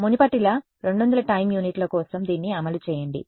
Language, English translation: Telugu, And as before run it for 200 time units